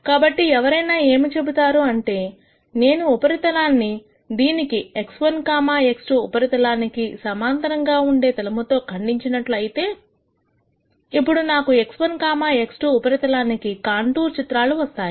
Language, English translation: Telugu, So, what one could say then is that if I cut this surface with the plane parallel to x 1, x 2 surface then I am going to get what are called contours on the x 1, x 2 surface